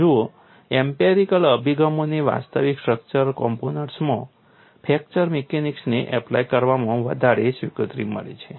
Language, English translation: Gujarati, See the empirical approaches have found rated acceptance in applying fracture mechanics to actual structure components